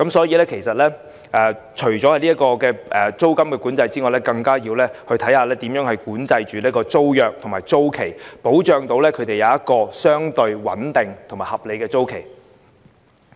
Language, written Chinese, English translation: Cantonese, 因此，除了租金管制外，其實更要研究如何管制租約和租期，以保障租戶有相對穩定和合理的租期。, Hence in addition to rent control it is actually necessary to study ways to regulate tenancy agreements and tenure so as to ensure that tenants will be offered a relatively stable and reasonable tenure